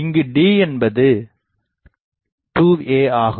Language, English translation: Tamil, So, f by 2 a is what